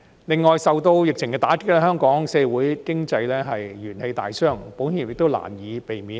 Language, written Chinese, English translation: Cantonese, 此外，受到疫情打擊，香港社會經濟元氣大傷，保險業亦難以避免。, In addition Hong Kongs economy has been brought to its knees by the pandemic and the insurance industry is hardly an exception